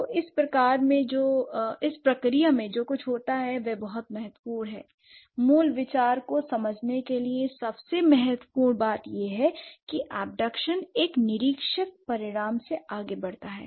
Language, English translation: Hindi, So, what happens in this process, a lot of the most important or the most important thing to understand the basic idea is that this abduction proceeds from an observed result